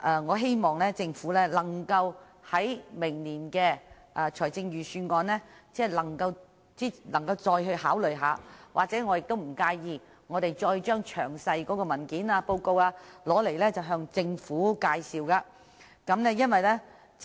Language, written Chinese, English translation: Cantonese, 我希望政府能夠在明年的財政預算案再次考慮這項建議，而我亦不介意再次向政府詳細介紹有關的文件及報告。, I hope that the Government will consider this proposal when preparing the Budget next year and I do not mind introducing in detail the relevant papers and reports to it